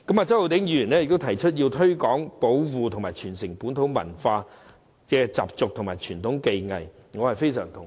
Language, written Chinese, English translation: Cantonese, 周浩鼎議員提出要"推廣、保護及傳承本土文化、習俗及傳統技藝"，我對此非常同意。, Mr Holden CHOW suggested to promote protect and transmit local culture customs and traditional techniques and I strongly agree with this